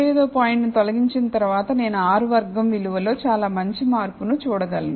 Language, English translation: Telugu, So, after removing the 35th point, I am able to see a pretty good change in the R squared value